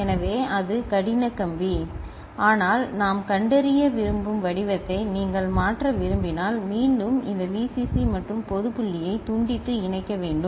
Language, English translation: Tamil, So, that is hard wired ok, but if you want to change the pattern that we want to detect, then again we have to physically disconnect and connect this Vcc and ground